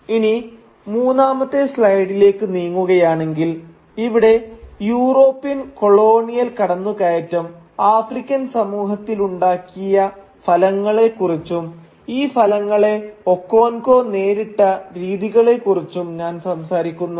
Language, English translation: Malayalam, Now moving on to the third slide, here I talk about the effects of the European colonial incursion with the African society and Okonkwo’s engagement with these effects